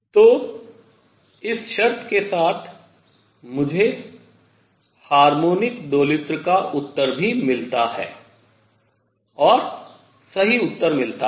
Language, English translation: Hindi, So, with this condition, I also get the answer for the harmonic oscillator and the correct answer